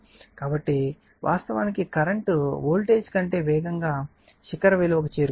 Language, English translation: Telugu, So, current actually reaching it is peak faster than the voltage